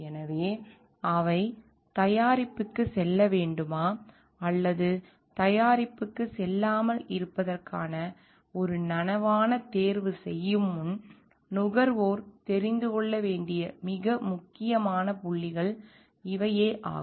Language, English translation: Tamil, So, but those are very important points to be known by the consumers before they make a conscious choice of whether to go for the product or not to go for the product